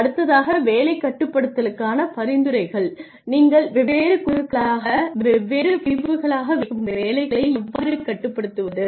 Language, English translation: Tamil, Suggestions for job banding, how do you band the jobs you put them into different bands different categories